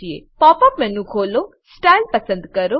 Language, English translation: Gujarati, Open the Pop up menu, select Style